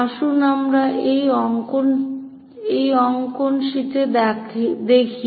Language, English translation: Bengali, So, let us look at on this drawing sheet